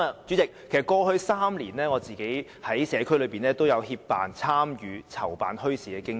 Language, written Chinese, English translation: Cantonese, 主席，過去3年，我在社區內也有協辦、參與和籌辦墟市的經驗。, President in the past three years I have gained some experience in assisting in organizing bazaars holding bazaars and participating in them